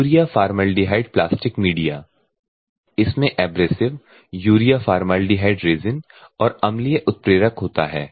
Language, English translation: Hindi, Urea formaldehyde plastic media this contain abrasives urea formaldehyde resin and acidic catalyst